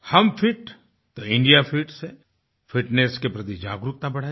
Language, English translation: Hindi, Through 'Hum Fit toh India Fit', we enhanced awareness, towards fitness